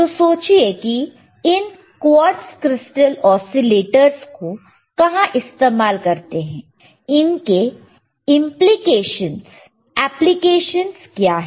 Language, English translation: Hindi, So, think about where this quartz crystal oscillators are used, and what are the applications are what are the applications of quartz crystal oscillator and